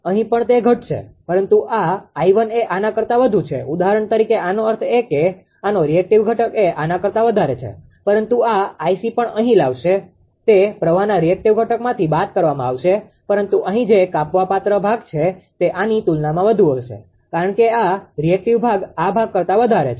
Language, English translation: Gujarati, Here also it will decrease, but this I 1 is higher than ah this one ah for this example say; that means, the reactive component of this one is higher than this one but as soon as this I c is coming here also, it will be subtracted from the reactive component of the current but whatever reduction part ah here will be much more compared to this one because this reactive part is higher than this part